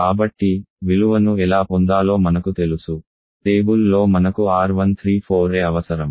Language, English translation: Telugu, So you know how to get the value you just need the R1 for the table